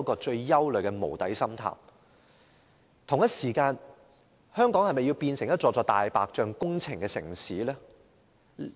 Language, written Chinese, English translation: Cantonese, 此外，我們是否想香港變成充斥着"大白象"工程的城市呢？, Besides do we want to see the degeneration of Hong Kong into a city with a proliferation of white elephant projects?